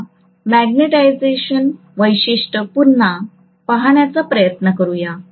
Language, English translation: Marathi, Let us try to look at again the magnetisation characteristic and establish this